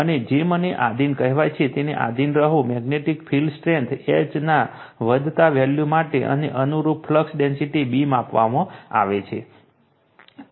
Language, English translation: Gujarati, And be subjected to your what you call me subjected to increasing values of magnetic field strength H right, and the corresponding flux density B measured right